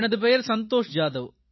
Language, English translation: Tamil, My name is Santosh Jadhav